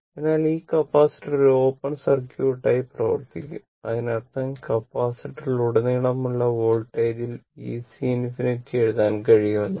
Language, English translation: Malayalam, So, this capacitor will act as open circuit right; that means, that means voltage across the capacitor say, we can write V C infinity right; say we can write V C infinity